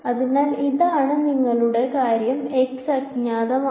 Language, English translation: Malayalam, So, this is your thing x is unknown